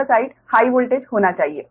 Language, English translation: Hindi, this should be low voltage side